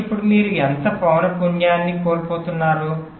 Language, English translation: Telugu, so now how much frequency your loosing